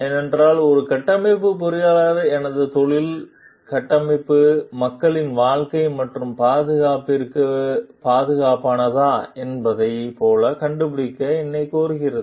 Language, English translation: Tamil, Because my profession of a structural engineer demands me to find out like whether the structure is safe for the life and security of the people